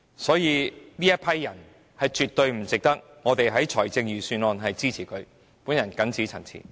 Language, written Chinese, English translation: Cantonese, 所以，他們絕對不值得我們在財政預算案中給予撥款支持。, Hence they absolutely do not deserve the public funding support proposed in the Budget